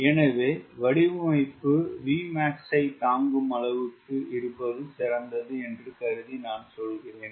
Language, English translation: Tamil, assuming that structure is good enough to withstand a design v max